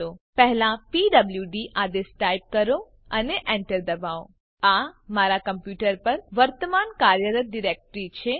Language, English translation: Gujarati, First type the command pwd and press Enter This is the current working directory